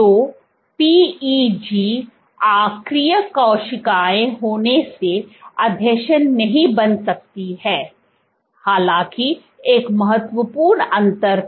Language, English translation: Hindi, So, PEG being inert cells cannot form adhesions; however, there was one important difference